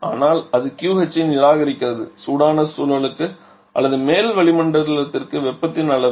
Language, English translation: Tamil, But it is rejecting Q H amount of heat to the warm environment or to the upper atmosphere